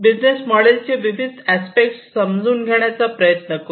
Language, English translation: Marathi, So, let us try to look at the different aspects of the business model